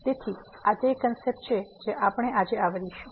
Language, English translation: Gujarati, So, these are the concepts we will be covering today